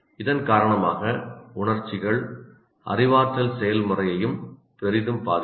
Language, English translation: Tamil, And because of that, the emotions can greatly influence your cognitive process as well